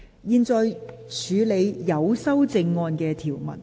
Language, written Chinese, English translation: Cantonese, 現在處理有修正案的條文。, I now deal with the clause with amendment